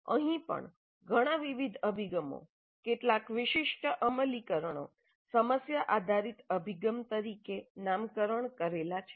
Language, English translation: Gujarati, Here also several different approaches, several different specific implementations are tagged as problem based approach